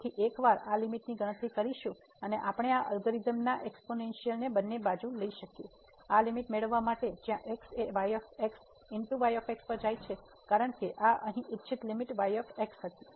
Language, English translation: Gujarati, So, once we compute this limit and we can take this algorithm exponential both the sides to get this limit goes to a because this was the desired limit here this was the